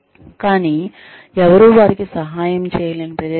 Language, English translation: Telugu, But, in a place, where nobody will be able to help them